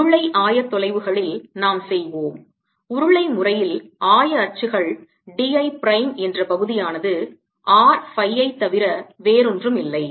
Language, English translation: Tamil, in cylindrical coordinates they coordinate where the element d l prime is is nothing but r phi